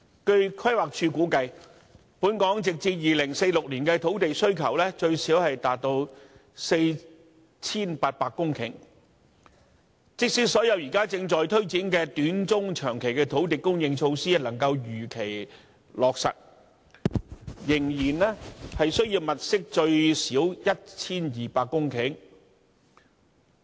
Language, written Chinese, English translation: Cantonese, 據規劃署估計，本港直至2046年的土地需求最少達 4,800 公頃，即使所有現正推展的短、中、長期土地供應措施能夠如期落實，仍然需要物色最少 1,200 公頃土地。, According to the projection of the Planning Department Hong Kong will require at least 4 800 hectares of land up to 2046 . Even if all the ongoing short - medium - and long - term land supply initiatives are implemented as scheduled it is still necessary to identify at least another 1 200 hectares of land